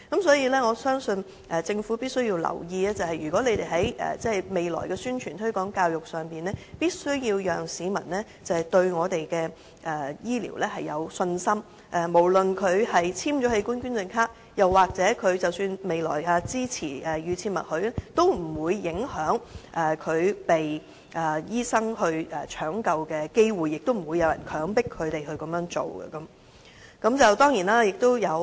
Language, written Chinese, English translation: Cantonese, 所以，我認為政府必須留意，未來的宣傳推廣教育必須讓市民對我們的醫療有信心，無論他有否簽署器官捐贈卡，或他是否支持預設默許機制，均不會影響他獲醫生搶救的機會，亦不會有人強迫他們捐贈器官。, I thus hold that in its future promotion and public education the Government must bolster public confidence in the health care system and convey the message that whether people have signed an organ donation card and whether they support the opt - out system will not affect their chance of being saved by medical personnel nor will they be forced to donate their organs